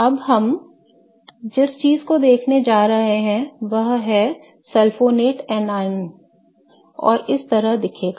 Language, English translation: Hindi, Now, what we are going to be looking at is a sulfonate anion, okay